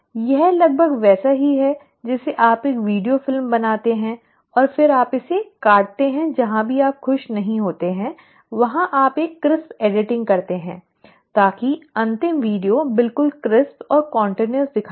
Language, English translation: Hindi, It is almost like you make a video film and then you kind of cut it wherever the regions you are not happy you do a crisp editing so that the final video looks absolutely crisp and continuous